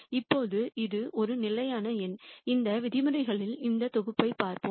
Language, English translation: Tamil, Now, this is a fixed number let us look at this sum of these terms